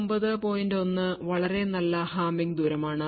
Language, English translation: Malayalam, 1 is also a very good Hamming distance